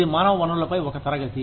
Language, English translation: Telugu, This is a class on human resources